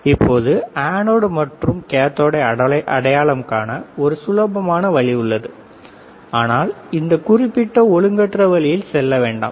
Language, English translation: Tamil, Now, there is an easier way of identifying anode, and cathode, but let us not go in that particular way of crude way of understanding